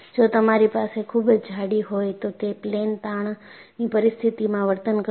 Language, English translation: Gujarati, If you have a very thick one, it will behave like a plane strain situation